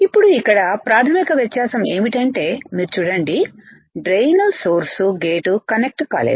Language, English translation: Telugu, Now the basic difference here is that if you see, the drain gate n source these are not connected